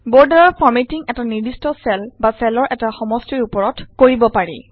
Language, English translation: Assamese, Formatting of borders can be done on a particular cell or a block of cells